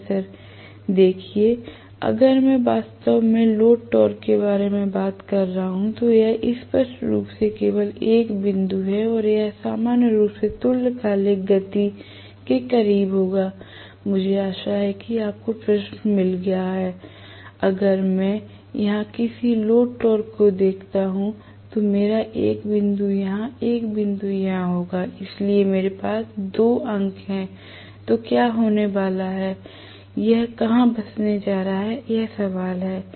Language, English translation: Hindi, Student: Professor: See, if I am talking about actually a load torque like this there is only 1 point clearly and it will normally settle closer to synchronous speed, I hope you got the question, if I look at any of the load torque here if I look at some load torque like this, I will have 1 point here 1 point here, so if I am having 2 points like this, then what is going to happen, where is going to settle, that is the question